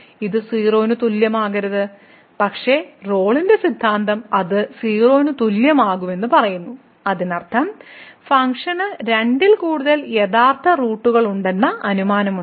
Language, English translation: Malayalam, So, it cannot be equal to 0, but the Rolle’s Theorem says that it will be equal to 0; that means, we have a assumption which was that the function has more than two real roots is wrong